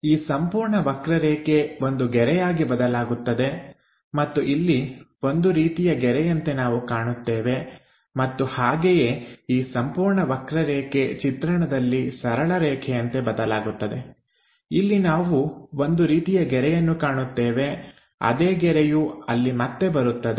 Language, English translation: Kannada, This entire curve turns out to be a line and here we see something like a line and again this entire line curve turns out to be a straight line on the projection, here we see something like a line that line comes there again from here the top portion comes there